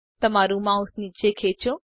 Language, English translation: Gujarati, Drag your mouse downwards